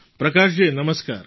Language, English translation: Gujarati, Prakash ji Namaskar